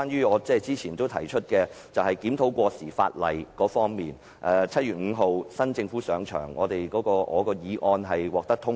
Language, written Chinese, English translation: Cantonese, 我曾提出檢討過時法例，新政府在7月5日上場後，我動議的議案獲得通過。, I have proposed a review of outdated legislation and the motion I moved was passed on 5 July after the new government assumed office